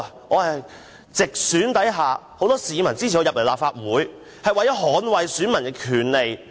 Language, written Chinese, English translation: Cantonese, 我是在直選下，由很多市民支持進入立法會的，為的是捍衞選民的權利。, I am directly elected by many members of the public to become a member of the Legislative Council to defend electors rights